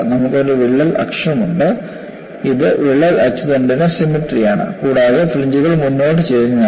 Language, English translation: Malayalam, You know, you have a crack axis; it is symmetrical about the crack axis and the significant aspect is, where the fringes are forward tilted